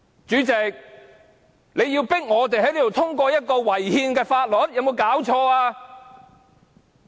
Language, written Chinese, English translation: Cantonese, 主席，你迫我們在這裏通過一項違憲的法律，這是否太過分了？, President are you not going too far in forcing us to pass a Bill here that contravenes the Constitution?